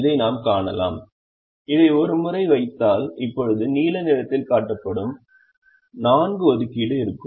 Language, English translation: Tamil, we can also see this, and once we put this now we will have four assignments that are shown in in blue color